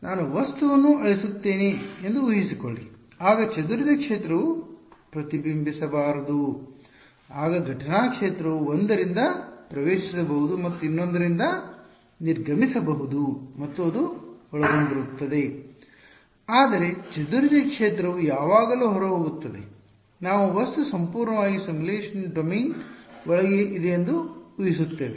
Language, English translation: Kannada, Scattered field should not reflect back supposing I delete the object then there is no boundary condition to impose incident field can enter from one and exit from the other and that is consisted, but scattered field is always going out we are assuming that the object is fully contained inside the simulation domain